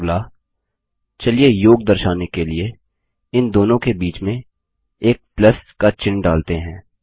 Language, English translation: Hindi, Next, let us add a plus symbol in between these two matrices to denote addition